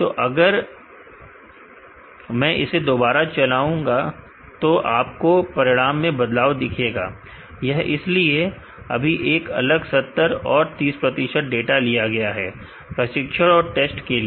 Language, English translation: Hindi, Now, if I run it again you will see the result change, this is because now different 70 and 30 percent of the data is taken as training and test